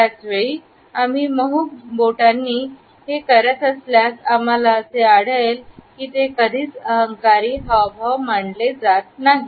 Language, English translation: Marathi, At the same time, if we are doing it with soft fingers, we find that it is never considered as an arrogant gesture